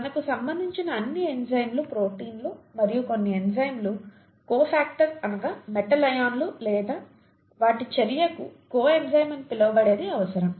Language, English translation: Telugu, All enzymes of relevance to us are proteins and some enzymes require something called a cofactor, such as metal ions or what are called coenzymes for their action, okay